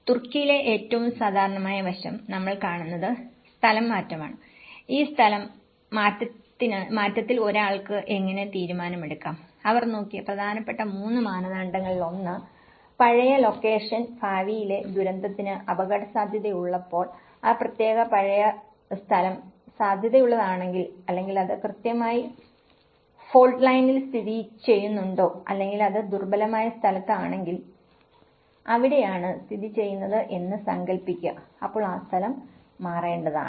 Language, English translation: Malayalam, And most common aspect in Turkey, what we see is the relocation and that how one can take a decision on this relocation, one of the important three criteria they looked at one is; when the old location is at risk for the future disaster imagine, if that particular old location is prone or it is located on exactly on the fault line or is it in a vulnerable place, so that is where we located